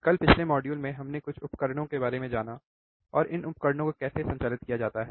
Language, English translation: Hindi, Yesterday, in the last module actually we have recorded few of the equipment, right how to operate this equipment